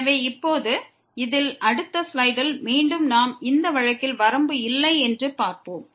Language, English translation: Tamil, So, we will see in this in the next slide now again that limit in this case does not exist